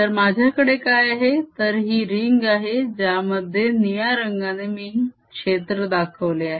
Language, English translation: Marathi, so what i have is this ring in which there is a fields inside shown by blue